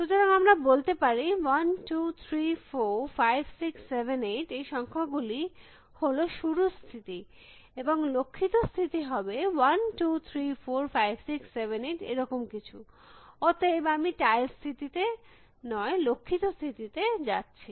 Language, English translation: Bengali, So, let us said number 1, 2, 3, 4, 5, 6, 7, 8 and this is let us say the start state and the goal state could be something like 1, 2, 3, 4, 5, 6, 7, 8, so I am not going the tiles state, goal state